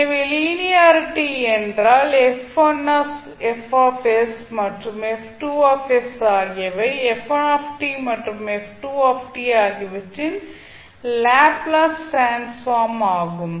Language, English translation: Tamil, So linearity means f1s and f2s are the Laplace transform of f1t and f2t